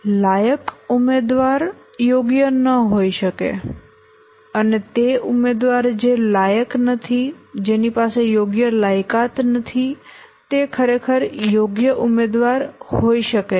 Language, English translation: Gujarati, Maybe the eligible candidate may not be suitable and a candidate who is not eligible and a candidate who is not eligible doesn't have the right qualification may be actually the suitable candidate